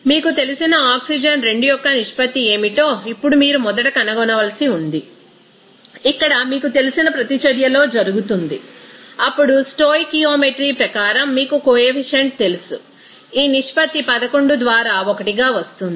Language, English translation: Telugu, Now you have to find out first what should be the ratio of that oxygen 2 you know, here happen in the you know reaction then as per stoichiometry you know coefficient this ratio will be coming as 11 by 1